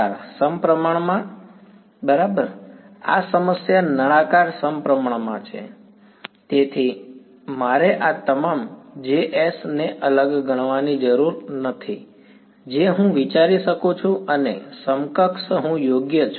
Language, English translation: Gujarati, Cylindrically symmetric right, this problem is cylindrically symmetric; so, I need not consider all of these J ss separate I can consider and equivalent I right